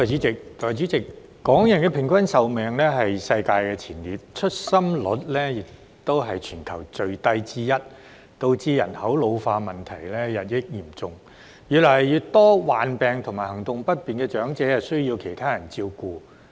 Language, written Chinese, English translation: Cantonese, 代理主席，港人的平均壽命是世界前列，出生率亦是全球最低之一，導致人口老化問題日益嚴重，越來越多患病和行動不便的長者需要其他人照顧。, Deputy President while the average life expectancy of Hong Kong people is one of the longest in the world our birth rate is one of the lowest globally thereby causing the population ageing problem to become increasingly serious . More and more elderly persons having health and mobility problems need to be taken care of by others